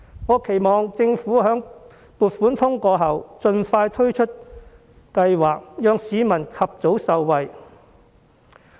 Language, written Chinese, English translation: Cantonese, 我期望政府在撥款通過後盡快推出計劃，讓市民及早受惠。, I hope the Government will launch the scheme expeditiously upon the passage of the Budget so that people can benefit from it as early as possible